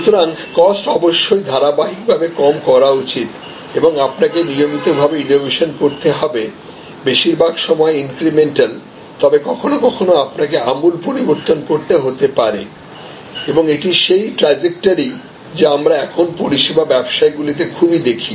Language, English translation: Bengali, So, cost must be continuously lowered and you must continuously innovate, sometimes most of the time incremental, but sometimes you may have to radically change and this is the trajectory that we see now in service businesses more and more